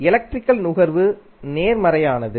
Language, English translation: Tamil, The power consumption is positive